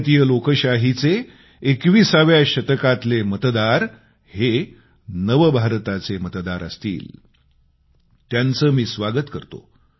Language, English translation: Marathi, The Indian Democracy welcomes the voters of the 21st century, the 'New India Voters'